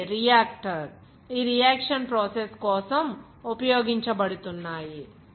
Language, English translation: Telugu, These are reactor which is being used for this reaction process